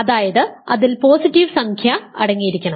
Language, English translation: Malayalam, So, it contains positive elements